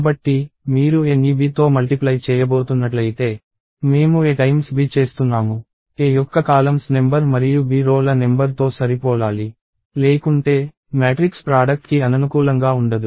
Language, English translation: Telugu, So, if you are going to multiply A with B, we are doing A times B; the number of columns of A and the number of rows of B should match; otherwise, the matrix product would be incompatible